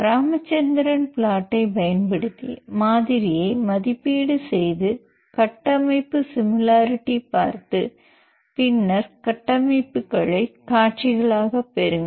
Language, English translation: Tamil, Then evaluate the model using Ramachandran plot and report the structure similarity and visualize the structures